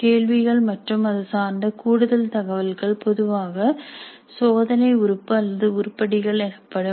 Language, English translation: Tamil, Questions plus additional related information is generally called as a test item or item